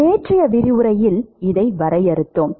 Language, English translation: Tamil, We defined this in yesterday’s lecture